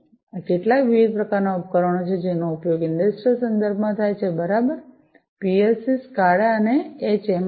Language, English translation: Gujarati, These are some of the different types of devices that are used in the industrial contexts, right, PLC, SCADA, HMI